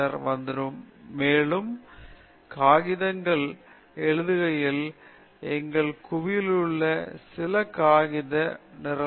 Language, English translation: Tamil, And then, when we write more and more papers, from our group some paper will get rejected; you should not worry